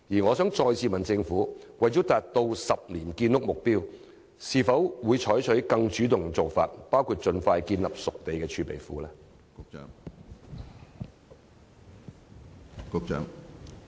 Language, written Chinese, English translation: Cantonese, 我想再次詢問政府，為了達到10年建屋目標，會否採取更主動的做法，包括盡快建立熟地儲備庫？, I would like to ask the Government once again that in order to achieve its rolling 10 - year housing supply target will a more proactive approach be adopted including the setting up of a reserve for spade - ready sites as soon as possible?